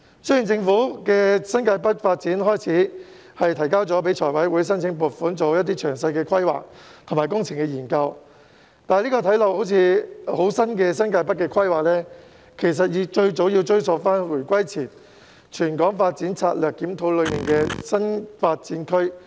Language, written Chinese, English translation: Cantonese, 雖然政府已就新界北發展向財務委員會申請撥款，以進行詳細規劃及工程研究，但這個看似新穎的新界北規劃，其實最早可追溯至回歸前的《全港發展策略檢討》所建議的坪輋/打鼓嶺新發展區。, Although the Government has already sought funding from the Finance Committee for the development of New Territories North to carry out a detailed planning and engineering study this seemingly novel development can actually be traced back to the development of the Ping CheTa Kwu Ling New Development Area NDA proposed before the return of sovereignty in the Territorial Development Strategy Review